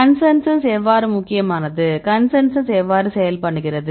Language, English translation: Tamil, And the consensus how the consensus works why the consensus is important